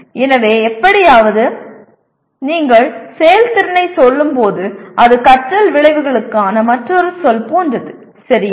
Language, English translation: Tamil, So somehow when you merely say performance it is like another word for learning outcome, okay